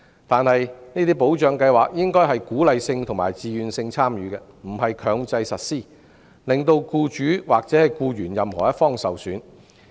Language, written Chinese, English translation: Cantonese, 然而，這些保障計劃應該屬自願性質，鼓勵參與，而不是強制實施，令僱主或僱員任何一方受損。, However such protection schemes should be founded on a voluntary basis where participation is encouraged but not made compulsory so that no harm should be inflicted on either employers or employees